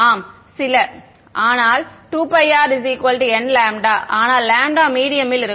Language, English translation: Tamil, Yeah some, but 2 pi r, but n lambda, but lambda in the medium